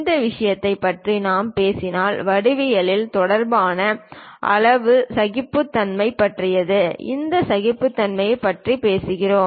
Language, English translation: Tamil, These kind of things if we are talking about those are about size tolerances regarding geometry also we talk about this tolerances